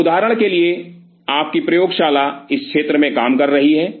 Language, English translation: Hindi, So, say for example, your lab has been working on this area